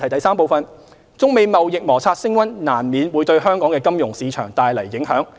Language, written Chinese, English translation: Cantonese, 三中美貿易摩擦升溫難免會對香港的金融市場帶來影響。, 3 The escalation of the China - US trade conflict will inevitably affect Hong Kongs financial markets